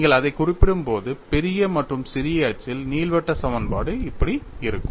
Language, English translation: Tamil, When you refer it with respect to the major and minor axis, ellipse equation would be like that